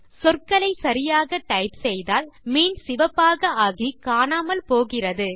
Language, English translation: Tamil, If you type the words correctly, the word turns red and vanishes